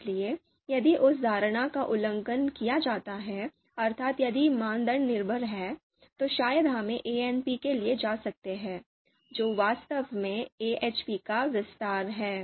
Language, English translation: Hindi, So as you can see here itself if criteria are dependent, then probably we can go for ANP, which is actually an expansion of AHP